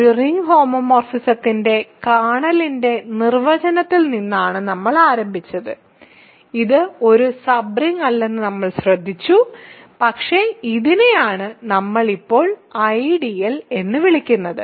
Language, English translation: Malayalam, So, we started with the definition of a kernel of a ring homomorphism and we noticed that it is not a sub ring, but it is what we now call an ideal ok